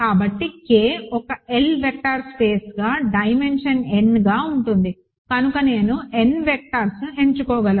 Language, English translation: Telugu, So, K as an L vector space as dimension n, so I can choose n vectors which form basis